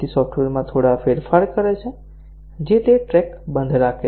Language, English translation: Gujarati, So, makes a few changes in the software, which he keeps track off